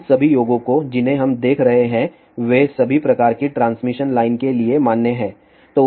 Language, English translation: Hindi, By the way all these formulation which we are looking at they are valid for all types of transmission line